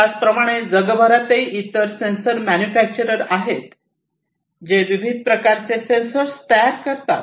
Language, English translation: Marathi, Like this, there are many different other sensor manufacturers globally, that produce different types of sensors